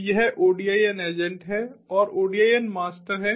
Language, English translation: Hindi, so this is the odin agent and there is the odin master